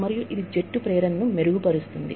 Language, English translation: Telugu, And, it enhances, the team motivation states